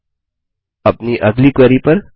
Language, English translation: Hindi, Now, onto our next query